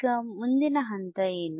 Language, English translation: Kannada, Now, what is the next step